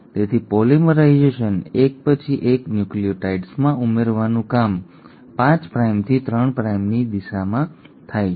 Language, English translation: Gujarati, So the polymerisation, adding in of successive nucleotides is happening in a 5 prime to 3 prime direction